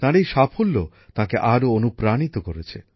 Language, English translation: Bengali, This success of his inspired him even more